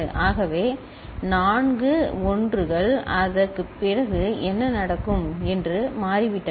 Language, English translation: Tamil, So, four 1s have become after that what will happen